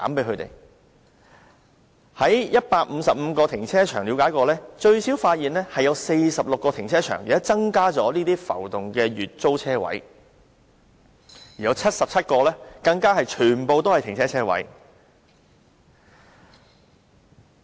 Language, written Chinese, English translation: Cantonese, 在155個停車場中，發現最少有46個停車場增加了浮動的月租車位，而有77個更全部改為浮動車位。, It was found that at least 46 of 155 car parks have increased the number of monthly floating parking spaces and in 77 car parks all the parking spaces have even been changed to floating ones